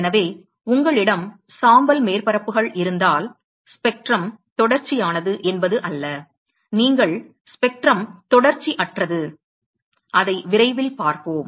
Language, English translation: Tamil, So, when you have gray surfaces it is not that the spectrum is continues, you will have discontinues spectrum, we will see that we will see that shortly